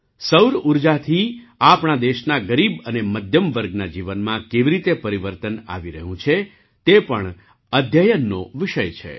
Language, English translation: Gujarati, How solar energy is changing the lives of the poor and middle class of our country is also a subject of study